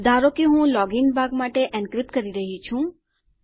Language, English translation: Gujarati, Consider I am encrypting for my login part..